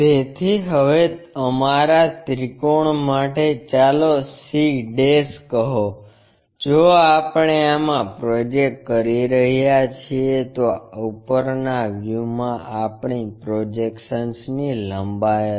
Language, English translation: Gujarati, So, our triangle now let us call c', if we are projecting all the way up in the this will be the length of our projection in the top view